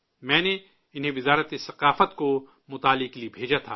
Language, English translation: Urdu, I had sent them to the Culture Ministry for analysis